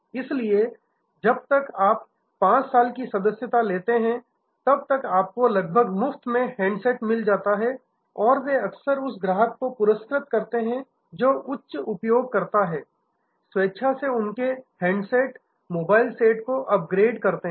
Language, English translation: Hindi, So, handset you get almost free as long as you take a 5 years subscription and so on and they often reward the customer who are more higher users by voluntarily upgrading their handset, the mobile set